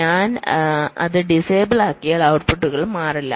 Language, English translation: Malayalam, so if i disable it, then the outputs will not change